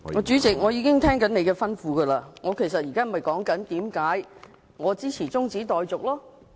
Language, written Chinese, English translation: Cantonese, 主席，我已遵照你的吩咐，我現正說明我為何支持中止待續。, President I have done what you told me and now I am explaining why I support the adjournment